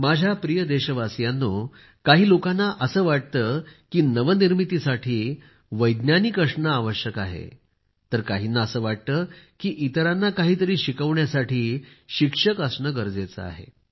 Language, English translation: Marathi, some people think that it is necessary to be a scientist to do innovation and some believe that it is essential to be a teacher to teach something to others